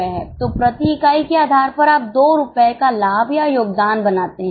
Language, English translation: Hindi, So, per unit basis, you make a profit of or contribution of $2